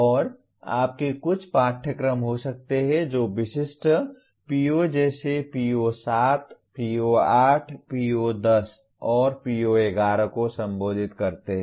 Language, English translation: Hindi, And you may have some courses that address specific POs like PO7, PO8, PO10 and PO11